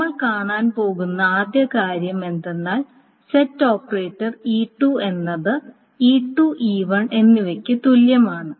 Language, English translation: Malayalam, The first thing that we are going to say is suppose E1 there is some set operator E2 is going to be equivalent to E2 and E1